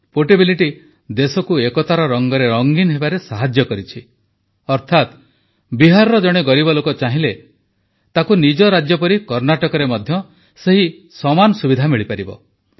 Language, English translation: Odia, This portability of the scheme has also helped to paint the country in the color of unity, which means, an underprivileged person from Bihar will get the same medical facility in Karnataka, which he would have got in his home state